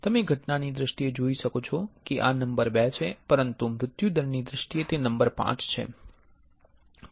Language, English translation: Gujarati, You can see in terms of incident these are number 2, but in terms of mortality, it is a number 5